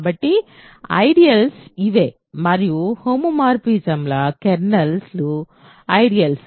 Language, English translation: Telugu, So, the ideals are this and kernels of homomorphisms are ideals